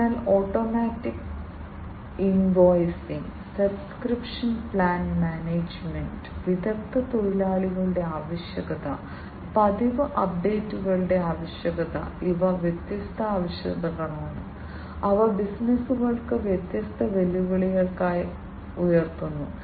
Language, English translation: Malayalam, So, automatic invoicing, subscription plan management, requirement of skilled labor, requirement of regular updates; these are different requirements, which are also posing as different challenges to the businesses